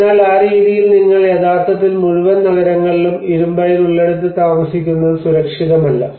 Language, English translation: Malayalam, So in that way you are actually living on the whole cities on an iron ore which is not safe for living